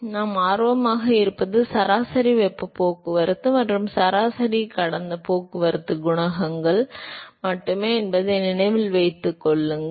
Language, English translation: Tamil, So, remember that, what we are interested is only the average heat transport and average past transport coefficients